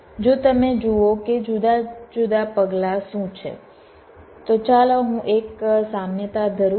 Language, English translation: Gujarati, if you see what are the different steps, let me just carry an analogy